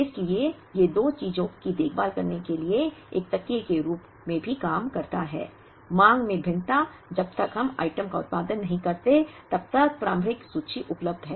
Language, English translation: Hindi, So, these act also as a cushion to ensure to take care of two things, variation in the demand, initial inventory available till we produce the item